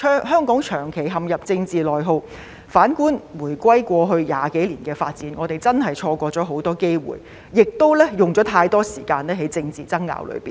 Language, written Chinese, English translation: Cantonese, 香港長期陷入政治內耗，反觀回歸過去20多年的發展，我們真是錯過了很多機會，也花了太多時間在政治爭拗上。, For a long period of time Hong Kong was in the impasse of internal political conflicts . Looking back at the development over the past two decades since the reunification we have genuinely missed a lot of opportunities and have spent too much time on political bickering